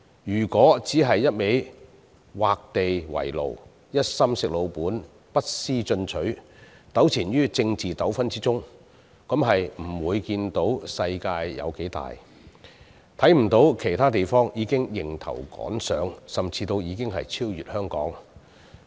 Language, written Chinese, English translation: Cantonese, 如果只顧畫地為牢，一心"食老本"，不思進取，糾纏於政治爭拗之中，便不會看到世界有多大，亦看不到其他地方已經迎頭趕上，甚至已超越香港。, If we keep imposing restrictions on ourselves sticking to an unenterprising attitude of resting on our laurels and entangling ourselves in political disputes we will not be able to realize how big this world is and how other places have caught up and even overtaken Hong Kong from behind